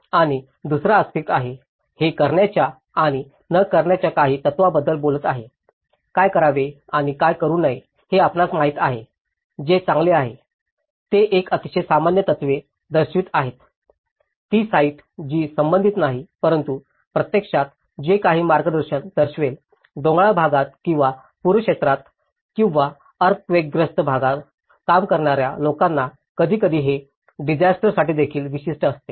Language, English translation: Marathi, And the second aspect is; it is talking about certain principles of do's and don'ts, you know what to do and what not to do which is better, it’s a very generic principles which is showing, it is not specific to the site but it will actually show some guidance to people working either on hilly areas or floodplain areas or an earthquake prone area so, it is sometimes it is also specific to a disaster